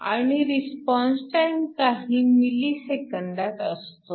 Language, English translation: Marathi, And the response time is usually of the order of milliseconds